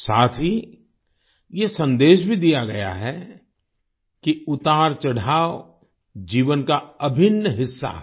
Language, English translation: Hindi, Along with this, the message has also been conveyed that ups and downs are an integral part of life